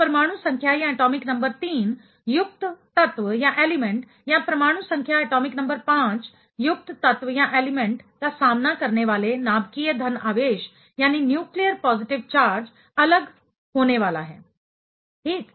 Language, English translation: Hindi, So, the way atomic number 3 containing element or atomic number 5 containing element will face the nuclear positive charge is going to be different, ok